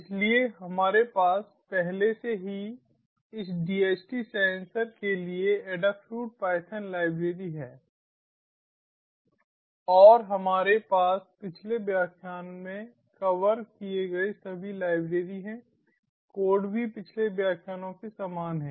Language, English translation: Hindi, so we already have the adafruit python library for this dht sensor and we have all the libraries installed as covered in the previous lectures